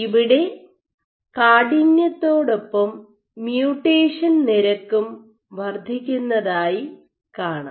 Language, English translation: Malayalam, So, you have mutation rate increases with stiffness